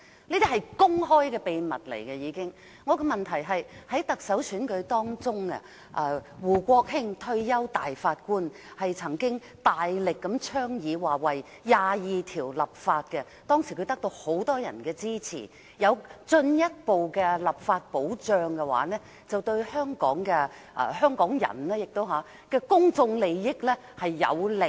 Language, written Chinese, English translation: Cantonese, 我的補充質詢是，在行政長官選舉中，退休大法官胡國興曾經大力倡議為《基本法》第二十二條立法，當時很多人支持他，認為如果有進一步的立法保障的話，便對香港人的公眾利益有利。, I am now going to ask my supplementary question . During the past Chief Executive Election retired judge WOO Kwok - hing strongly advocated enacting legislation on implementing Article 22 of the Basic Law . Many people supported his suggestion thinking that further legal protection is beneficial to the public interest of Hong Kong